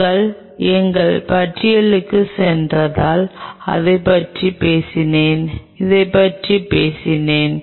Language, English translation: Tamil, If we talk about if we go back to our list, we talked about this